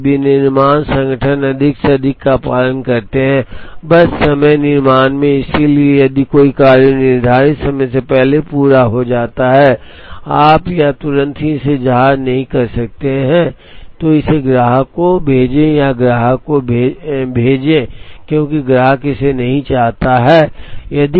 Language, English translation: Hindi, Today manufacturing organisations, more and more tend to follow, just in time manufacture, so if a job is completed ahead of schedule or early you cannot immediately ship, it to the customer or send it to the customer, because the customer does not want it